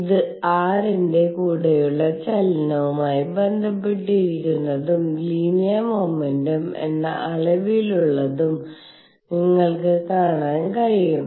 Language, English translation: Malayalam, This you can see is connected to motion along r and has a dimension of linear momentum